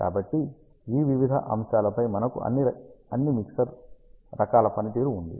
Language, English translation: Telugu, So, on this various factors we have the performance of all the mixer types